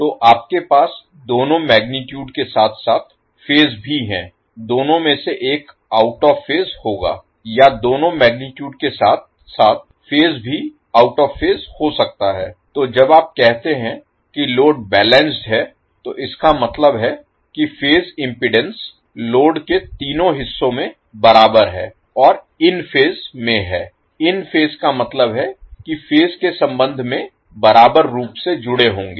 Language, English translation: Hindi, So you will have the magnitude as well as phase both either of two will be out of phase or you can have magnitude as well as phase both out of phase, so when you say the load is balanced it means that phase impedances in all three legs of the load are equal and in phase, in phase means you will have equally connected with respect to phase